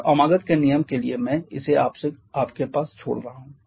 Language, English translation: Hindi, And for the amagat’s rule I am leaving it to you